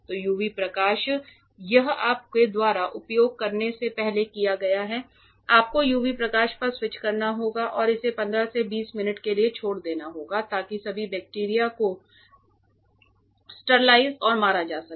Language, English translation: Hindi, So, now UV light this was done before you use you have to switch on the UV light and leave it for like 15 to 20 minutes for sterilizing and killing all bacteria inside ok